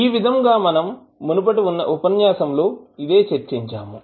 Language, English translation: Telugu, So, this is what we discussed in our yesterday in our lecture